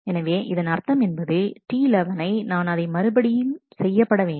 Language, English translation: Tamil, So, it means that T 11 will also have to be rolled back